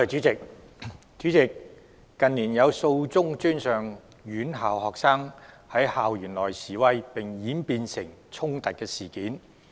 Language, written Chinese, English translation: Cantonese, 主席，近年有數宗專上院校學生在校園內示威並演變成衝突的事件。, President in recent years there were several incidents in which demonstrations staged on campus by students of tertiary institutions developed into confrontations